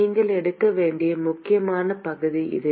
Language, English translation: Tamil, This is an important piece that you have to take